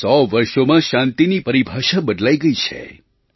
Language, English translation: Gujarati, The definition of peace has changed in the last hundred years